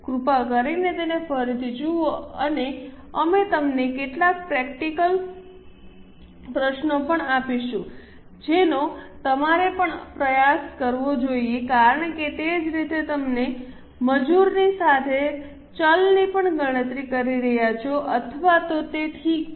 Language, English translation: Gujarati, Please see it again and we will also be giving you some practice questions that also you should try because similarly you are going to calculate for labour as well as variable orates